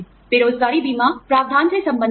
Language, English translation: Hindi, Unemployment insurance, deals with the provision